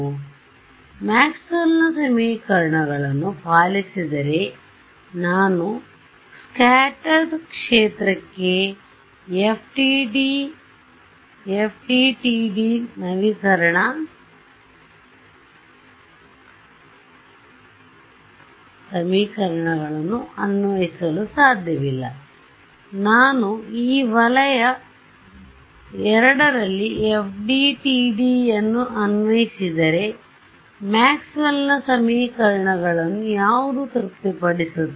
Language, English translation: Kannada, So, what no I can apply FDTD update equations to scattered field right if it obeys Maxwell’s equations I can apply FDTD to it in region II what satisfies Maxwell’s equations